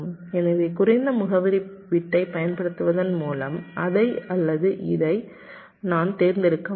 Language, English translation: Tamil, so by using the list address bit i can select either this or this